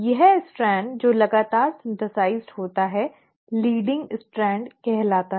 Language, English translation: Hindi, This strand which is continuously synthesised is called as the leading strand